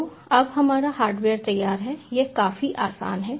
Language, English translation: Hindi, so now our hardware is ready